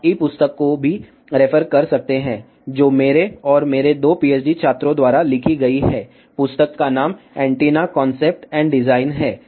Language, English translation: Hindi, You can also referred to the E book, which is written by me and my two PhD students, the book name is Antennas Concept and Design